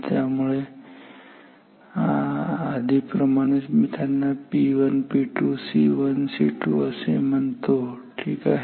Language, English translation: Marathi, Let me call them as like P 1 P 2 C 1 C 2